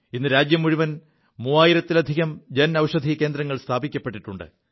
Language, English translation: Malayalam, Today, over three thousand Jan Aushadhi Kendras have been set up across the country